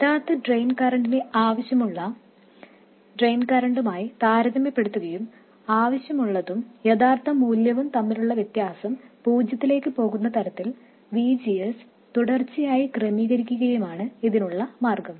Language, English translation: Malayalam, The way to do it is to compare the actual drain current to the desired drain current and continuously adjust VGS such that the error between the desired and actual values goes to zero